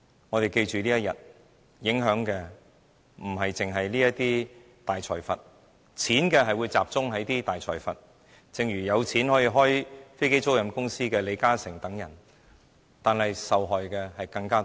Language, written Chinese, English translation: Cantonese, 我們要記得這一天，因為該安排影響的不單是大財閥，令錢只集中大財閥身上，正如有錢可以開飛機租賃公司的李嘉誠等人，但受害的人更多。, We have to remember what is going to happen today as this arrangement will enable plutocrats such as LI Ka - shing who is financially capable to set up an aircraft leasing company to pocket all the gains at the expense of many others